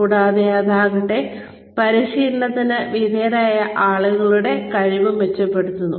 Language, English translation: Malayalam, And, that in turn, improves the ability of people, undergoing training